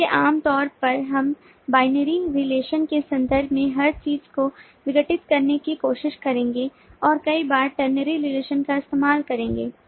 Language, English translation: Hindi, so normally we will try to decompose everything in terms binary relation and at times use ternary relation